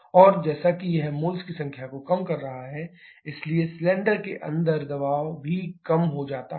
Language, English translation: Hindi, And as it is reducing, number of moles, so pressure inside the cylinder will also reduce